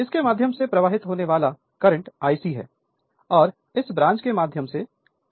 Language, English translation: Hindi, Current flowing through this is I c and through this branch is I m